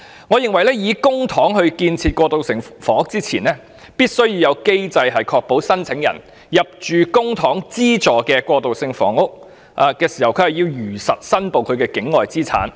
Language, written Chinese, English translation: Cantonese, 我認為，在動用公帑興建過渡性房屋前，政府必須制訂機制，確保申請人在入住公帑資助的過渡性房屋時如實申報境外物業。, I think before using public funds to build transitional housing units the Government must put in place a mechanism to ensure that an applicant is making a factual declaration on the ownership of properties outside Hong Kong when heshe is admitted to publicly - funded transitional housing units